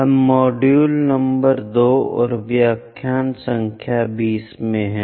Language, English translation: Hindi, We are in module number 2 and lecture number 20